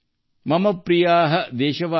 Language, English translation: Kannada, Mam Priya: Deshvasin: